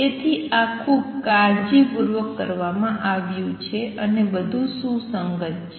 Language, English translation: Gujarati, So, this has been done very carefully and everything is consistent